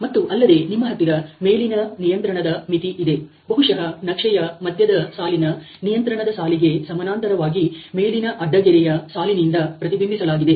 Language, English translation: Kannada, And then you have an upper control limit which is represented by a upper horizontal line probably parallel to the control line of the central line of the chart